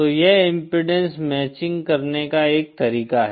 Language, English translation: Hindi, So this is one way to do the impedance matching